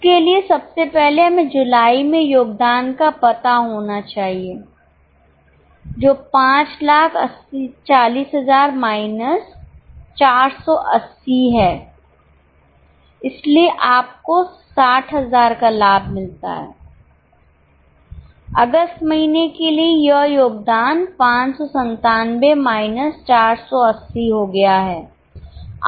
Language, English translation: Hindi, For that first of all we should know the contribution in July which is 5 40,000 minus 480 so you get profit of 60,000